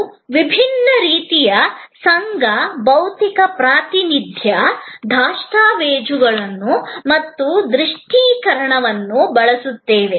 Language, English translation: Kannada, We use different sort of association, physical representation, documentation and visualization